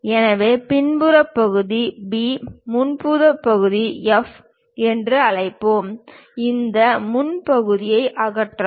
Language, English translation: Tamil, So, let us call back side part B, front side part F; remove this front side part